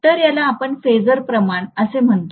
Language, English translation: Marathi, So we call this as the phasor quantity